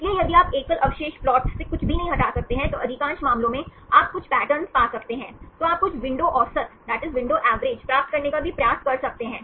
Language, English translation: Hindi, So, if you cannot infer anything from the single residue plot, most of the cases, you can find some patterns, then you can also try to get some window average